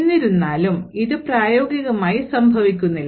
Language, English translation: Malayalam, However, this is not what happens in practice